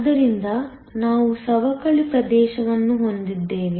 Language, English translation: Kannada, So, that we have a depletion region